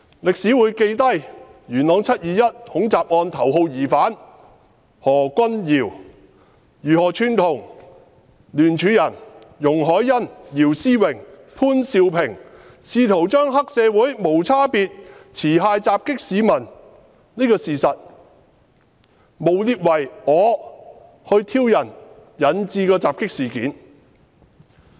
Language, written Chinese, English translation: Cantonese, 歷史會記下元朗"七二一"恐襲案頭號疑犯何君堯議員如何串同聯署人容海恩議員、姚思榮議員及潘兆平議員，試圖將黑社會無差別持械襲擊市民的事實，誣衊為因我挑釁而引致襲擊的事件。, It will be recorded in history how Dr Junius HO the top suspect of the 21 July Yuen Long terrorist attack conspired with Ms YUNG Hoi - yan Mr YIU Si - wing and Mr POON Siu - ping co - signers of the motion in an attempt to slander me for provoking the triads indiscriminate armed attack on members of the public